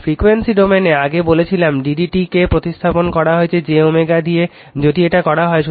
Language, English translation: Bengali, And in the frequency domain, I told you earlier d by d t, you replace by j omega right if you do